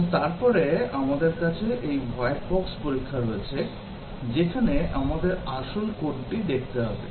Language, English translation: Bengali, And then we have this white box testing, where we actually have to look at the code